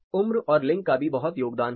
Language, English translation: Hindi, Age and gender of course as a great contribution